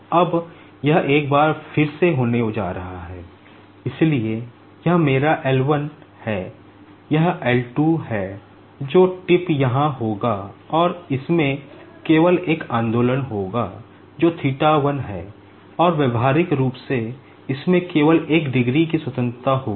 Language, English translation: Hindi, Now, this is once again is going to have, so this is my L 1, this is L 2 the tip will be here, and it will have only one movement that is theta 1, and practically it will have only one degree of freedom